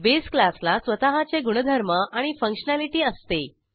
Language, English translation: Marathi, The base class has its own properties and functionality